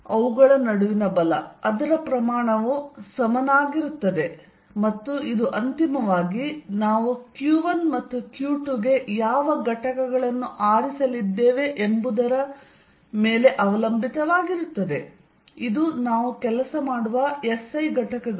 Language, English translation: Kannada, The force between them it is magnitude is going to be equal to and this depends on what units we are going to choose for q 1 and q 2 finally, it is the SI units that we work in